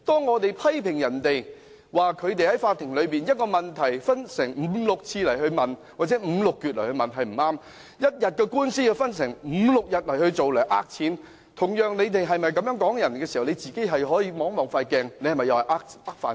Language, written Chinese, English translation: Cantonese, 他們批評別人在法庭內把一個問題分開五六次或五六截來問是不恰當，一天的官司要分五六天進行來騙錢，他們同時也可以照一照鏡子，看看他們自己又是否在騙飯吃？, While they criticized others for asking one same question on five or six counts in court and spreading out a one - day trial over five or six days in order to scam money they should probably take a look in the mirror and check if they are also scamming their way through life?